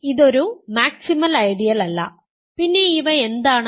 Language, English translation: Malayalam, So, this is not a maximal ideal, what about this